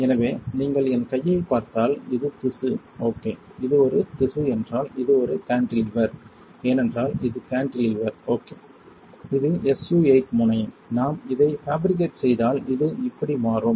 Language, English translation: Tamil, So, if you look at my hand if this is the tissue right, if this is a tissue and this is a cantilever, because see this is cantilever right, then this is SU 8 tip, if we fabricate it becomes like this